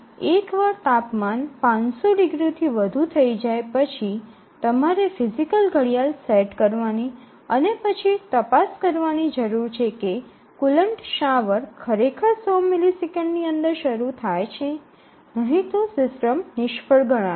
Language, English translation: Gujarati, So, here once the temperature exceeds 500 degrees then we need to set a physical clock and then check whether the coolant shower is actually getting on within 100 millisecond otherwise the system would be considered as failed